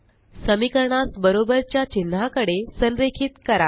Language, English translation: Marathi, Align the equations at the equal to character